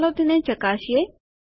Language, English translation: Gujarati, Lets test it out